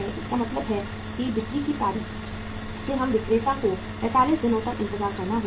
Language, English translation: Hindi, It means from the date of sales we the seller has to wait for 45 days